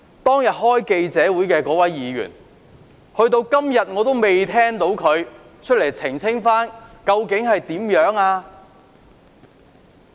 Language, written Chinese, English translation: Cantonese, 當天召開記者招待會的議員，直至今天我仍未聽到他公開澄清究竟情況為何？, Up till today the Member who held the press conference has not clarified openly to the public about the whole incident